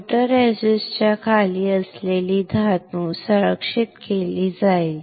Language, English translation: Marathi, The metal below the photoresist would be protected